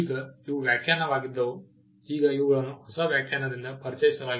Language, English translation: Kannada, Now, these were definition, now these were introduced by the new definition